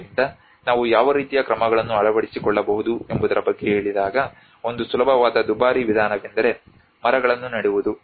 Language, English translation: Kannada, So when we say about what kind of measures we can adopt so one easiest expensive method is planting the trees